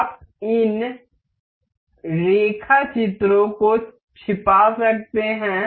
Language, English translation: Hindi, You can hide that sketches